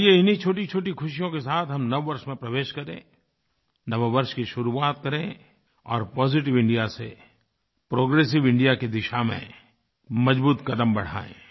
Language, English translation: Hindi, Let us enter into the New Year with such little achievements, begin our New Year and take concrete steps in the journey from 'Positive India' to 'Progressive India'